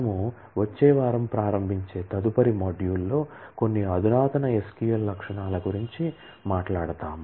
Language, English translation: Telugu, In the next module that we start next week, we will talk about some of the advanced SQL features